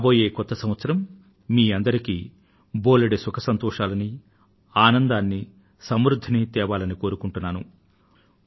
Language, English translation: Telugu, May the New Year bring greater happiness, glad tidings and prosperity for all of you